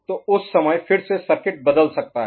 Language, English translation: Hindi, So at that time again circuit can change